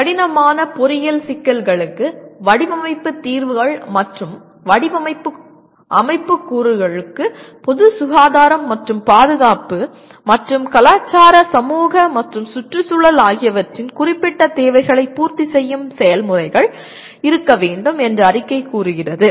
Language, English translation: Tamil, The statement says design solutions for complex engineering problems and design system components or processes that meet the specified needs with appropriate consideration for the public health and safety and the cultural societal and environmental consideration